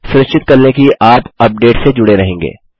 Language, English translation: Hindi, Make sure you subscribe for updates